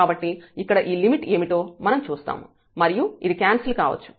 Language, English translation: Telugu, So, we will see that what is this limit here, and this can get cancelled